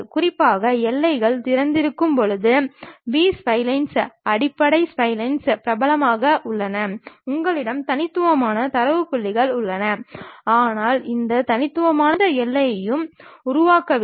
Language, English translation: Tamil, Especially, the B splines the basis splines are popular when boundaries are open, you have discrete data points, but these discrete data points are not forming any boundary